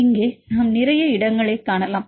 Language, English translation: Tamil, Here if we see lot of space